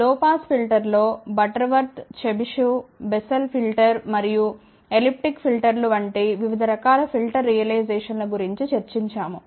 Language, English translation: Telugu, In the low pass filter we discuss about different types of filter realizations, such as Butterworth, Chebyshev, Bessel filter, and elliptic filters